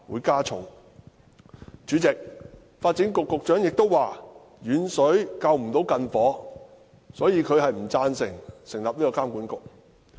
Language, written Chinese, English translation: Cantonese, 主席，發展局局長亦表示，遠水不能救近火，因此他不贊成成立監管局。, President the Secretary for Development also said that distant water could not put out a nearby fire so he did not support the idea of setting up BMWA